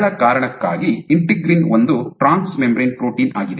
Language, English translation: Kannada, For the simple reason the So, your integrin is a trans membrane protein ok